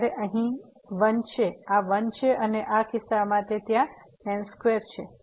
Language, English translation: Gujarati, So, this is 1 here, this is 1 and in this case it is a there as square